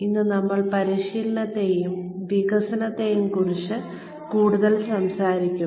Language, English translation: Malayalam, Today, we will talk, more about, Training and Development